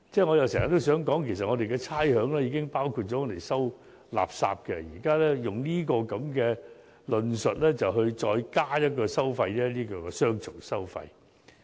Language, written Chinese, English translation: Cantonese, 我經常也想說，其實我們的差餉已包括了收集垃圾的費用，現在卻以這種論述再增加一項收費，變成雙重收費。, I often want to say that the rates chargeable by the Government already include refuse collection costs . Therefore imposing an additional levy with such remarks is tantamount to double charging